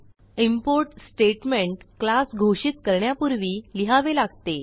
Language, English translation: Marathi, The import statement is written before the class definition